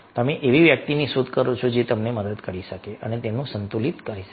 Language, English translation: Gujarati, you look for someone who can help you, keep you in balance